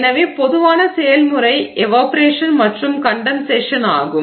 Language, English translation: Tamil, So, the general process is evaporation and condensation